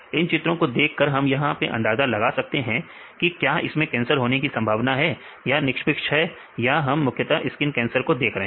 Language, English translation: Hindi, So, can we see these images and then predict whether this is a cancer prone or this is a neutral one, this we mainly deal with the skin cancer